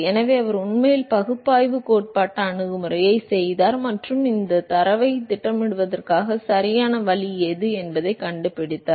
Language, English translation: Tamil, So, he has actually done the analytical theoretical approach and found out what should be correct way to plot these data